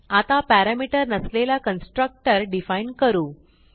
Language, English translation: Marathi, Now let us define a constructor with no parameter